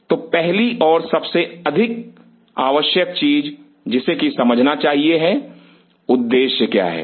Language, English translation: Hindi, So, first and foremost thing what has to be understood is what is the objective